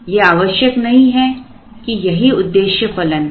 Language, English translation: Hindi, It is not absolutely necessary that the objective function has to be this